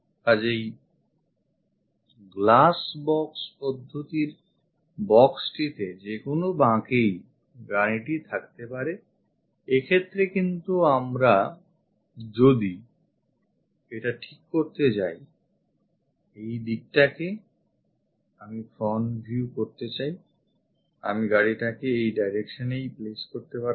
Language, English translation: Bengali, So, the box in the glass box method car might be in any inclination, but if we are going to decide this one I would like to have a front view I would have placed the car in that direction